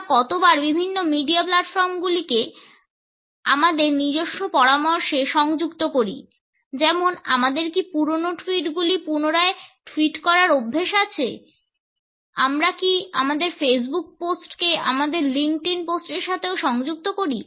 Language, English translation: Bengali, How often we link different media platforms in our own suggestions, for example, are we habitual of re tweeting the old tweets, do we connect our Facebook post with our linkedin post also